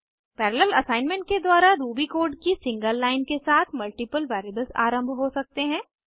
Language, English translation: Hindi, Multiple variables can be initialized with a single line of Ruby code, through parallel assignment